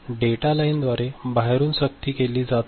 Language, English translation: Marathi, It is being forced externally through the data lines